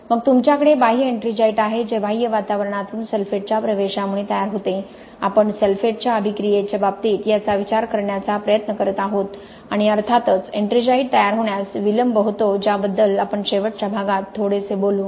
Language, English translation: Marathi, Then you have external ettringite which forms because of penetration of sulphate from the external environment, okay this is what we are trying to consider in the case of sulphate attack and there is of course delayed ettringite formation about which we will talk a little bit in the last few slides of this lecture